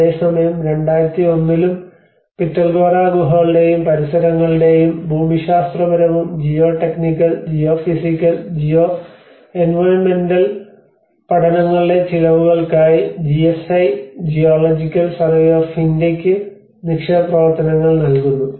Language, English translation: Malayalam, Whereas there also in 2001 onwards, the deposit work is awarded to GSI Geological Survey of India towards the cost of geological and geotechnical and geophysical and geoenvironmental studies of the Pitalkhora caves and the surroundings